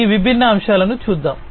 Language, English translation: Telugu, So, let us look at some of these different aspects